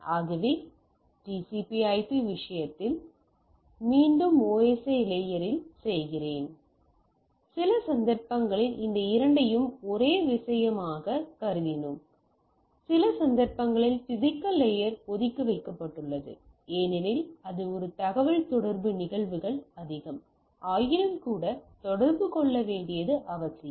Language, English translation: Tamil, So, this is the down the layer OSI again I am repeating in case of TCP/IP, some of the cases we considered this two as a single thing in some cases the physical layer is kept apart because this is more of a communication phenomena, nevertheless it requires for us to communicate